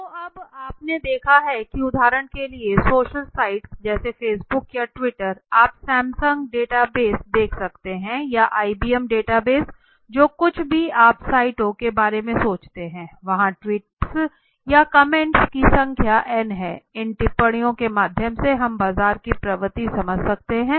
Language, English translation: Hindi, So you have seen now a days the you know for example social sites for example facebook or twitter or for example all these things even you can see a Samsung data base or let say IBM data base whatever you think of the sites right now there are n number of tweets n number of comments coming into it, through these comments through by understanding this comments can we understand the trend of the market for example if you have visited you must have for example any e commerce site